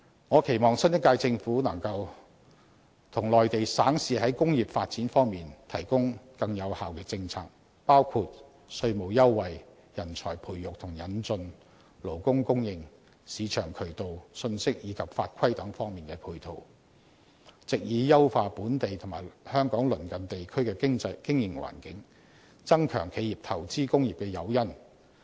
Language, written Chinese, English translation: Cantonese, 我期望新一屆政府能夠與內地省市在工業發展方面提供更有效的政策，包括稅務優惠、人才培育與引進、勞工供應、市場渠道、信息及法規等方面的配套，藉以優化本地及香港鄰近地區的經營環境，增強企業投資工業的誘因。, As for industrial development I hope the new Government can formulate more effective policies in cooperation with different provinces and cities on the Mainland including supportive measures relating to tax concessions manpower training and the import of professionals labour supply marketing channels information and regulations so as to streamline the local business environment as well as that of our neighbouring regions and to strengthen the incentives for corporations to invest in industries